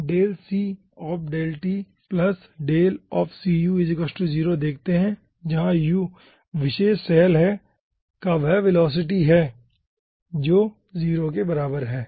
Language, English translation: Hindi, where is u is the velocity at that particular cell is equals to 0